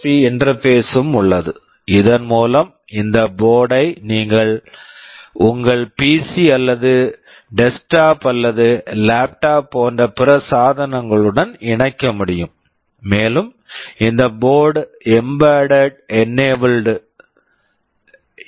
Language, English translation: Tamil, There is also an USB interface out here through which you can connect this board to other devices, like your PC or desktop or laptop, and this board is mbed enabled